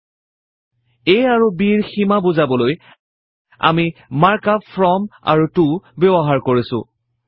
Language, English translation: Assamese, To specify the limits a and b, we have used the mark up from and to